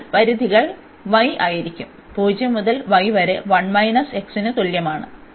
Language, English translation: Malayalam, So, the limits will be y is equal to 0 to y is equal to 1 minus x